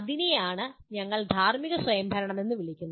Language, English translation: Malayalam, That is what we call moral autonomy